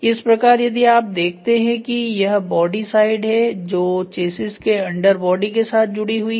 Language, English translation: Hindi, So, here if you see this is the body side which is fixed to the under body of chassis right